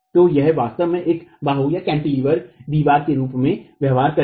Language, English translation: Hindi, So it will actually behave as a cantilevered wall